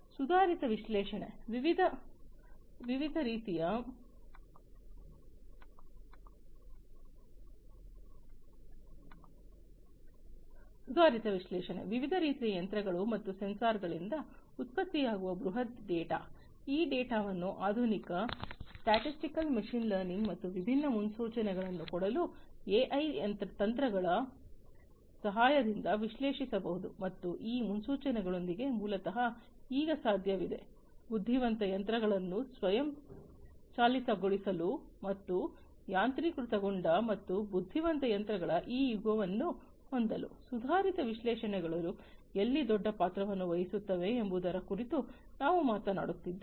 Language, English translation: Kannada, Advanced analytics the huge data that are generated from different kinds of machines and sensors, these data can be analyzed with the help of advance statistical machine learning and AI techniques to make different predictions and, within with these predictions, basically, it is now possible to have intelligent machines being automated and this era of automation and intelligent machines that, we are talking about where advanced analytics can play a huge role